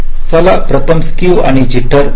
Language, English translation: Marathi, ok, so let us look at skew and jitter first